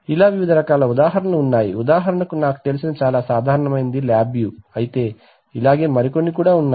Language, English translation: Telugu, There are various examples, for example a common one in with which I am familiar is LabView but there are few others also